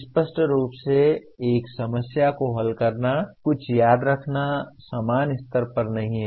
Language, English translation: Hindi, Obviously solving a problem, remembering something is not at the same level